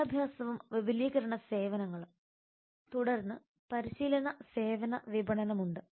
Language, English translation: Malayalam, education and extension services then there are training services marketing